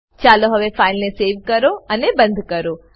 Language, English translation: Gujarati, Now let us save this file and close it